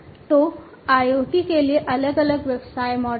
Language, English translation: Hindi, So, there are different business models for IoT